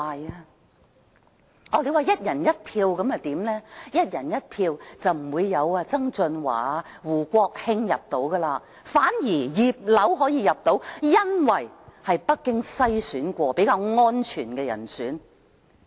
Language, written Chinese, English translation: Cantonese, 如果是"一人一票"的話，便不會有曾俊華、胡國興入閘參選，反而"葉劉"可以入閘，因為她是經北京篩選較安全的人選。, If it were a one person one vote election both John TSANG and WOO Kwok - hing would not have been able to secure enough nominations to enter the race . Instead Regina IP would have been able to stand for the election as she was a more secured candidate who had undergone screening by Beijing